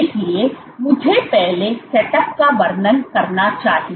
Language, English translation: Hindi, So, let me first describe the setup